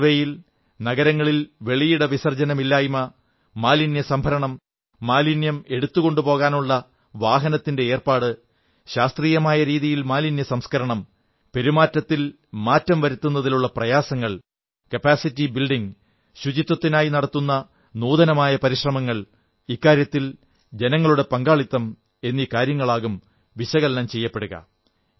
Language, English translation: Malayalam, During this survey, the matters to be surveyed include freedom from defecation in the open in cities, collection of garbage, transport facilities to lift garbage, processing of garbage using scientific methods, efforts to usher in behavioural changes, innovative steps taken for capacity building to maintain cleanliness and public participation in this campaign